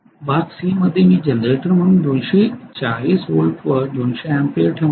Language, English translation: Marathi, So in part C I am going to have 200 amperes at 240 volts as a generator